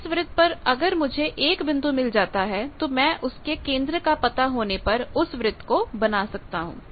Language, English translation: Hindi, In a circle if I can find out 1 point and if I know the centre I can draw the circle